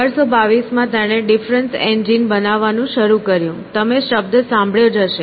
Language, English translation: Gujarati, So, in 1822 he began a building what is called as a difference engine; you must have heard the term